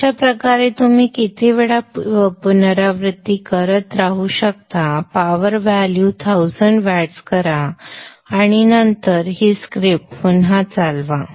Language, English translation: Marathi, So this way you can keep doing the iterations any number of time, change the power value, make it 1000 watts, and then read on the script